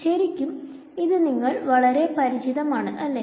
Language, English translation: Malayalam, So, this is actually very familiar to you right